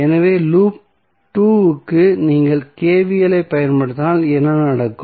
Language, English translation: Tamil, So, for loop 2 if you apply KVL what will happen